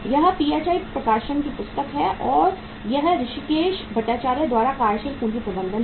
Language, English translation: Hindi, That is a PHI Publication and that is Working Capital Management by Hrishikes Bhattacharya